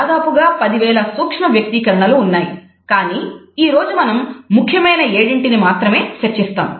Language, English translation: Telugu, Field, there are over 10,000 micro expressions, but today we are only going to be talking about the seven major ones